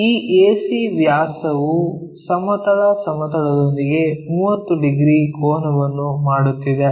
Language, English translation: Kannada, This AC diameter is making 30 degrees angle with the horizontal plane